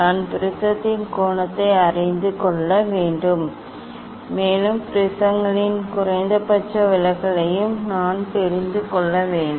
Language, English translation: Tamil, I have to know the angle of the prism and also, I have to know the minimum deviation of the prisms